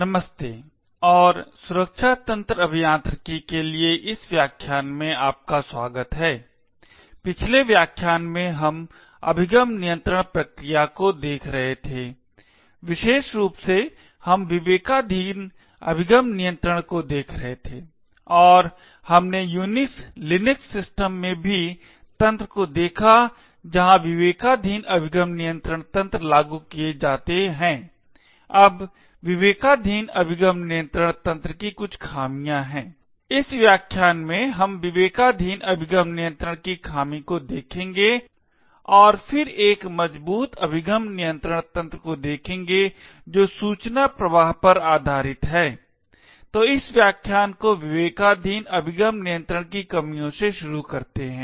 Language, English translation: Hindi, Hello and welcome to this lecture in the course for secure system engineering, in the previous lecture we have been looking at access control mechanisms in particular we have been looking at discretionary access control and we also looked at the mechanisms in Unix Linux systems where discretionary access control mechanisms are implemented, now there are certain drawbacks of discretionary access control mechanisms, in this lecture we will look at the drawback of discretionary access control and then look at a stronger access control mechanism which is based on information flow, so we start this lecture the drawbacks of discretionary access control